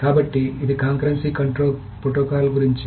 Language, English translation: Telugu, So this is about concurrency control protocols